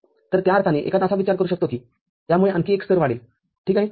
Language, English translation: Marathi, So, in that sense, one may think that it will increase another level ok